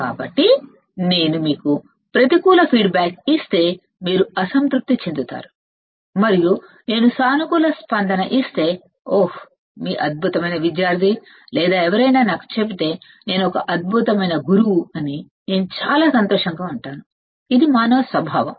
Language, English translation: Telugu, So, if I give you a negative feedback you will be unhappy and if I give positive feedback, oh, your excellent student or somebody tells me, I am an excellent teacher, I am very happy, these are the human nature